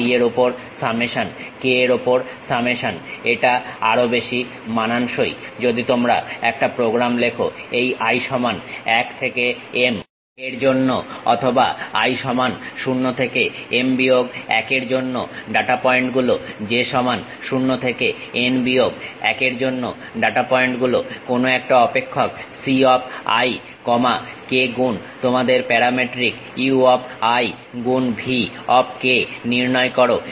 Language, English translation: Bengali, Summation on i, summation on k it is more like if you are writing a program for i is equal to 1 to or for i is equal to 0 to m minus 1 data points; for j is equal to 0 to n minus 1 data points, evaluate some function c of i comma k multiplied by your parametric u of i multiplied by v of k that is the way we expand that and try to fix c i informations